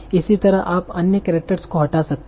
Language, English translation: Hindi, Similarly you might delete other characters